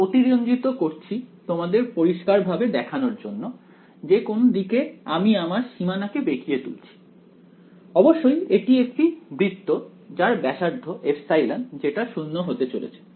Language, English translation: Bengali, I am exaggerating it to show you very clearly which way I am bending the boundary where; obviously, that is a it is a circle of radius epsilon which will go to 0